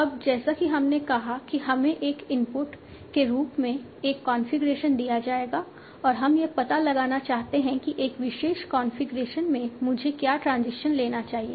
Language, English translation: Hindi, Now as we said, we will be given a configuration as input and we want to find out what is the transition I should be taking at a particular configuration